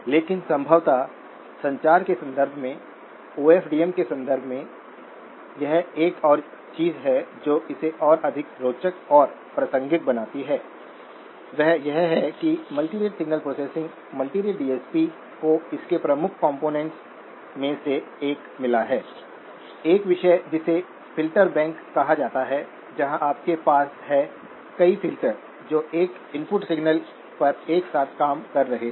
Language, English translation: Hindi, But probably one of the things that makes it more interesting and contextual, in the context of OFDM, in the context of communications, is that multirate signal processing, multirate DSP has got one of its core components, a topic called filter banks where you have multiple filters which are operating simultaneously on an input signal